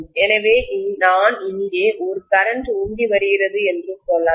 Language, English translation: Tamil, So let us say I am pumping in a current of I here, okay